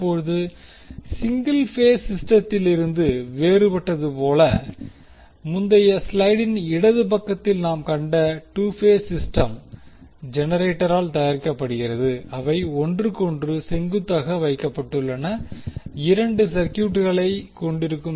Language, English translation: Tamil, Now, as distinct from the single phase system, the 2 phase system which we saw in the left side of the previous slide is produced by generator consisting of 2 coils placed perpendicular to each other